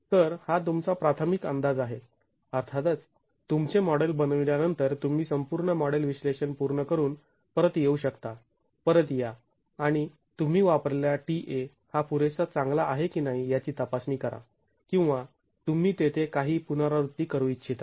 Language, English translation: Marathi, Of course, after your model, you can always come back after doing a full fledged model analysis, come back and check if the TA that you have used is good enough or would you want to make some iterations there